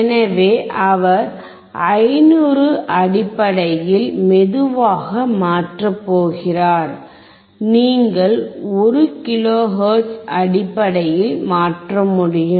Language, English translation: Tamil, So, he is going to change slowly in terms of 500 can you change in terms of 1 kilohertz